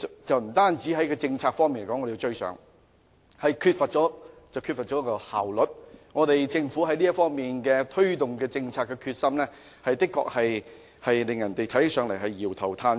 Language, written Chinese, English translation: Cantonese, 我們在政策方面不能趕上，亦缺乏效率，政府就這方面推動政策的決心，的確讓人搖頭嘆息。, While we cannot catch up in terms of policy we are also in lack of efficiency . And the Governments determination in promoting this policy is really disappointing